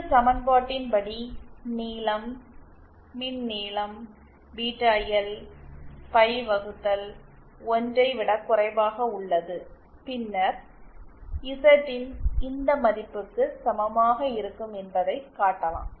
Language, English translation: Tamil, Starting from this equation, length, the electrical length Beta L is less than pie upon 6, then we can show that Zin will be equal to this value